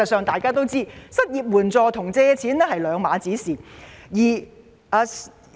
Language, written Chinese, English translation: Cantonese, 大家都知道，失業援助金與借錢是兩回事。, As we all know unemployment assistance and loans are completely different